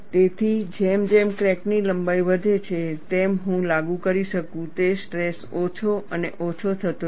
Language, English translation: Gujarati, So, as the crack length increases the stress that I could apply would be smaller and smaller